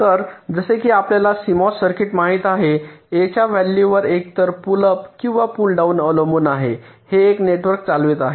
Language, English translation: Marathi, so, as you know, in a c mos circuit, depending on the value of a, so either the pull up or the pull down, one of the networks is conducting